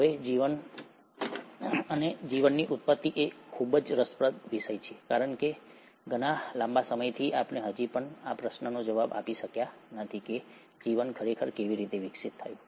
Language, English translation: Gujarati, Now, life, or origin of life is a very intriguing topic because for a very long time, we still haven't been able to answer the question as to how life really evolved